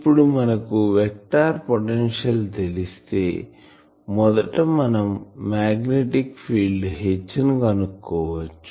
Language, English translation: Telugu, Now, once we know vector potential the first step is to find the magnetic field H